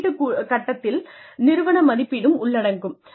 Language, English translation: Tamil, The assessment phase, includes organizational assessment